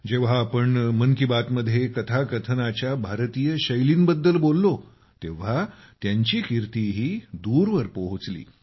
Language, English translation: Marathi, When we spoke of Indian genres of storytelling in 'Mann Ki Baat', their fame also reached far and wide